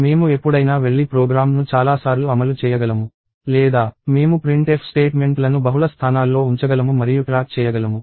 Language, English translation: Telugu, So, I can always go and run the program multiple times or I can put printf statements in multiple locations and track